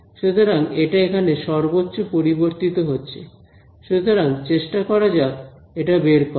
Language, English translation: Bengali, So, it is going to change the maximum over here so let us try to just find out